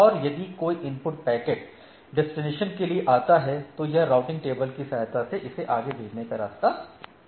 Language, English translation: Hindi, And if a input packet comes to for some destination it concerns the routing table that where it need to be forwarded, it forwards it